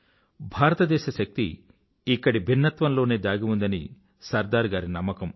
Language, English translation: Telugu, SardarSaheb believed that the power of India lay in the diversity of the land